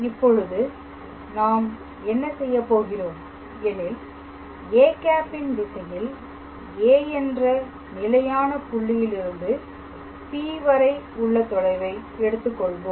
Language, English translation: Tamil, So, what we are doing is we are assuming the distance of P from any fixed point A in the direction of a cap